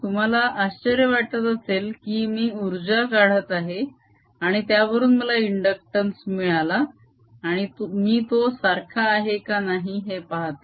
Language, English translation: Marathi, you may be wondering how energy from that i am getting in inductance and then trying to match them